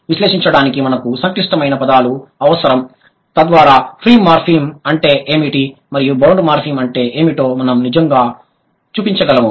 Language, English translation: Telugu, We need complex words to analyze so that we can actually show what is a free morphem and what is a bound morphem